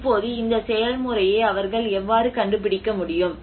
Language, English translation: Tamil, Now, how do they able to figure out this process